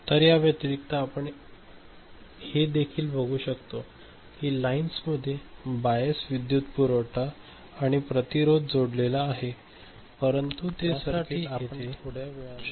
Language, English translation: Marathi, So, other than that we take note of that these lines have a bias voltage connected to a power supply and resistance, we shall see that circuit little later